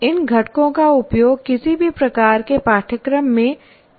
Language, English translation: Hindi, That means these components can be used in any type of course